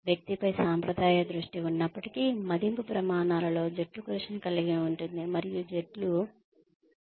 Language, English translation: Telugu, Despite the traditional focus on the individual, appraisal criteria can include teamwork, and the teams can be the focus of the appraisal